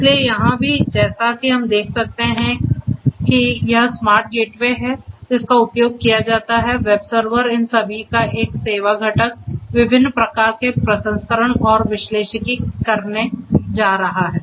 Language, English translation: Hindi, So, here also as we can see there is this smart gateway that is used, the web server, a service component all of these are going to do different types of processing and analytics